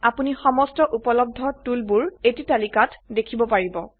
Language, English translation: Assamese, You will see a list of all the available tools